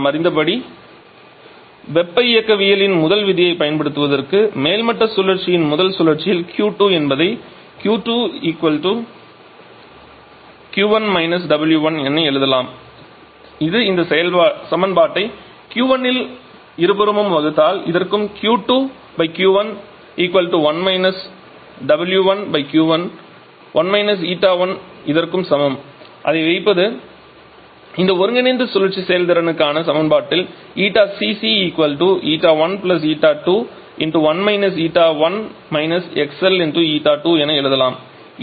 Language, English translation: Tamil, We know that Q 2 is equal to applying first law of thermodynamics on the first cycle on the topping cycle it is equal to Q 1 W that is dividing this equation by Q 1 on both side Q 2 upon Q 1 = 1 minus it is W 1 upon Q 1 is 1 W 1 upon Q 1 is ETA 1 so putting it back in the expression for this combined cycle efficiency Eta 1 + Eta 2 into 1 Eta 1 – Q L upon this should be Q 1